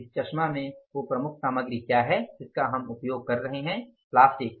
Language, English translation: Hindi, In this specs, what is the major material we are using the plastic